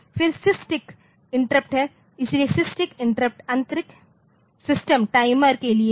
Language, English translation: Hindi, Then there is a SysTick interrupt, so, SysTick interrupt is for internal system timer